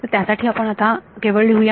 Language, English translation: Marathi, So, for now we will just write